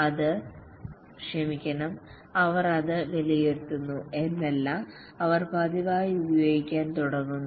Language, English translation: Malayalam, It's not that they just evaluate it, they just start using it regularly